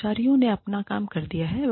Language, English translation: Hindi, Employees have, done their work